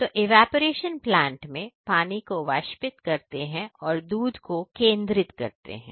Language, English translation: Hindi, So, in evaporation plant we evaporated water and concentrate milk